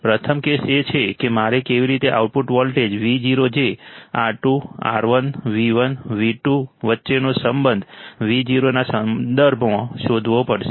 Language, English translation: Gujarati, First case is how I have to find the output voltage Vo, the relation between the R2, R1, V1, V2 with respect to Vo